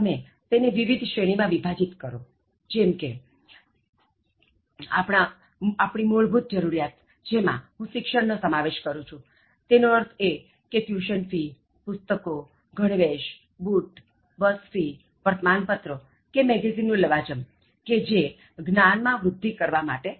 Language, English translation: Gujarati, Identify the categories like the basic categories that I have identified would include education, which might mean tuition fees, books, uniform, shoes, bus fees, newspaper and magazines and any kind of subscription that you pay in terms of developing knowledge